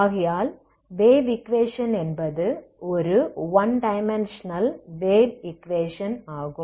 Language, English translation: Tamil, Now what is the, this is the equation this is the wave equation one dimensional wave equation